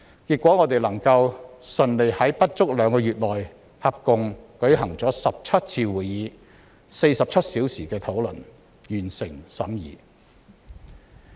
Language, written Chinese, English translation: Cantonese, 結果我們順利在不足兩個月內舉行了合共17次會議、進行了47小時的討論，完成審議相關法案。, In consequence we successfully completed the scrutiny of the bill in question in less than two months with a total of 17 meetings held and 47 hours spent on discussions